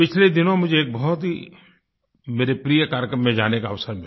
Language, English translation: Hindi, Recently, I had the opportunity to go to one of my favorite events